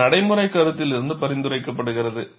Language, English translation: Tamil, This is recommended from practical considerations